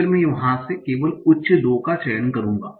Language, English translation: Hindi, And then I will select on the top 2 from there